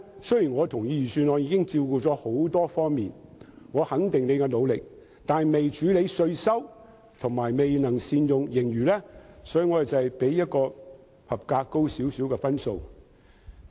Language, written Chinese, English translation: Cantonese, 雖然我認同預算案已能照顧多方面的問題，對司長的努力予以肯定，但預算案未能處理稅收問題，以及未能善用盈餘，所以我給它較合格高少許的分數。, Although I agree that the Budget can cater for various issues and I recognize the Secretarys efforts the Budget fails to address the taxation problem and does not make good use of the surplus . For this reason I gave it a mark slightly higher than the passing mark . Subsequently owing to pressure the Financial Secretary finally considered granting a cash handout